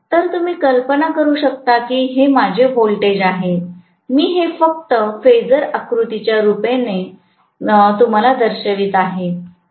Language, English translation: Marathi, So you can imagine if this is my voltage, I am just showing this as a form of phasor diagram